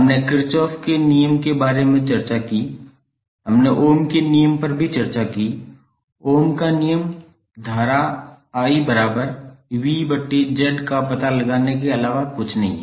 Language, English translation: Hindi, We discussed about the Kirchhoff’s law, we also discussed Ohm’s law, Ohm’s law is nothing but the finding out current I that is V by Z